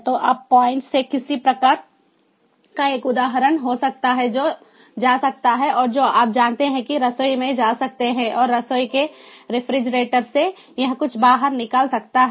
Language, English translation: Hindi, so from that point on, there could be some kind of a device which can go and which can ah, ah, which can go to the kitchen, you know, and from the refrigerator of the kitchen it can take out something